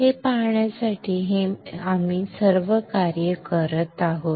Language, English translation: Marathi, To see this we are doing all this exercise